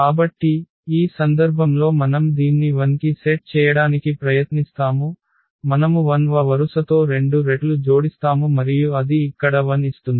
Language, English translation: Telugu, So, in this case we will try to set this to 0 here with two times the row 1 we will add and that will give us 0 here